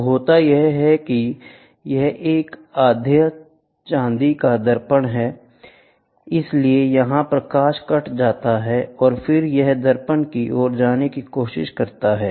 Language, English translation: Hindi, So, then what happened this is a half silvered mirror so, the light gets cut here, the light gets cut here and then it tries to travel towards the mirror